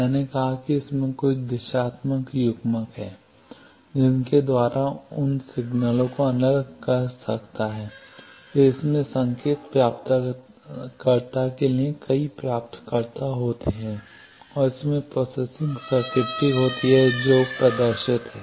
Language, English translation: Hindi, It also has signal separation devices I said that it has some directional couplers by which it can separate those signals, then it has receivers for signal detection a number of receivers and it has processing circuitry which has displayed